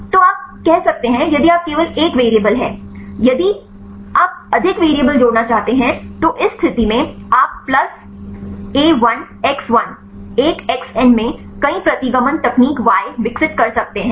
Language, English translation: Hindi, So, you can if you there is only one variable; if you like to add more variables, in this case you can develop multiple regression technique y equal to a0 plus a1 x1 up to an, xn